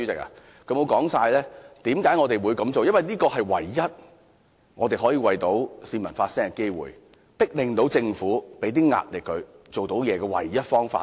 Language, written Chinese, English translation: Cantonese, 因為這是我們唯一可以為市民發聲的機會，向政府施壓，迫令政府做點工作的唯一方法。, Actually we want to do so because this is the only means through which we can speak for the people put pressure on the Government and compel it to do something